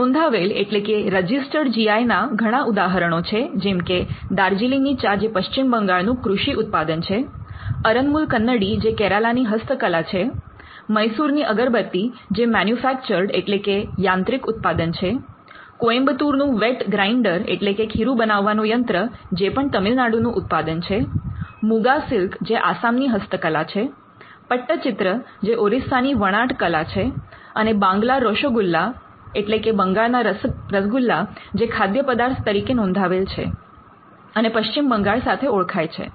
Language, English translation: Gujarati, Some registered GI is include Darjeeling tea, which is an agricultural product belonging to West Bengal, Aranmula Kannadi which is a handicraft product from Kerala, Mysore Agarbathi which is a manufactured product, Coimbatore wet grinder again a manufactured product from Tamilnadu, Muga silk of Assam again a handicraft from Assam, Orissa pattachitra which is a textile product from Odisha